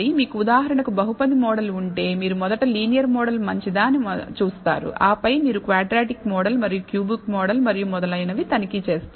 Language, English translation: Telugu, So, if you have for example, a polynomial model, you will first see whether a linear model is good then you will check as quadratic model and a cubic model and so on